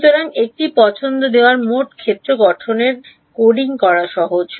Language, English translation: Bengali, So, given a choice it is easier to code total field formulation